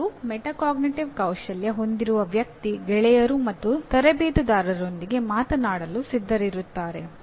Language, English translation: Kannada, And a person with metacognitive skills he is willing to talk to the both peers and coaches